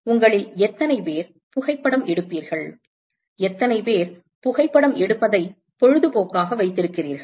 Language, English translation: Tamil, How many of you take photography, how many of you have photography as a hobby